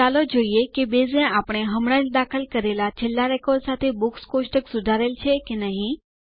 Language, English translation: Gujarati, Let us see if Base has updated the Books table with the last record we entered just now